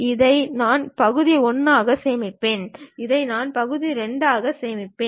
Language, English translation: Tamil, This I will save it as part 1, this I will save it as part 2